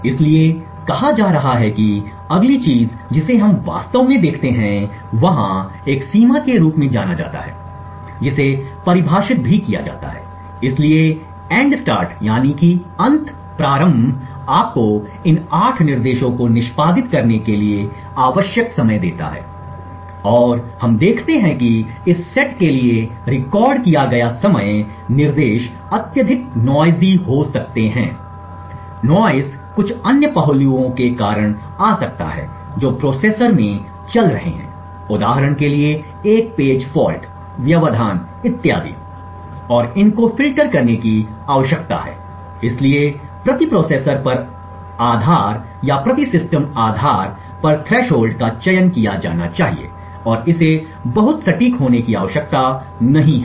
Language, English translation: Hindi, So that being said the next thing we actually look at is there is something known as a threshold which is also defined, so the end start gives you the time required to execute these 8 instructions and we see that the time recorded for this set of instructions may be extremely noisy, the noise may come due to certain other aspects which are going on in the processor for example a page fault, interrupts and so on and these needs to be filtered out, so the threshold value should be selected on per processor basis or per system basis and it does not need to be very accurate